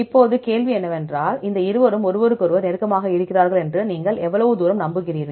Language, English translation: Tamil, Now, the question is how far you are confident that these two are close to each other